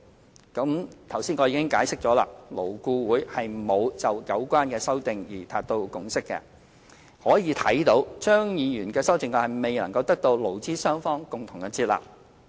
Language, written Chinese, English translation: Cantonese, 正如我剛才已經解釋，勞顧會沒有就有關修正案達成共識，可見張議員的修正案未能得到勞資雙方共同接納。, As I have already explained LAB did not reach a consensus on the amendments meaning that Dr CHEUNGs amendments were not accepted by employers and employees